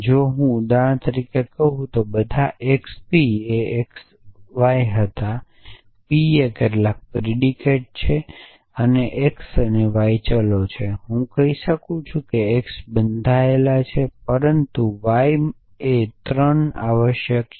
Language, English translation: Gujarati, So, if I say for example, for all x p x y were p is some p is some predicate and x and y are variables I can say that x is bound, but y is 3 essentially